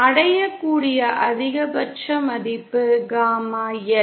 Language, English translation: Tamil, The maximum value that is reached is equal to Gamma L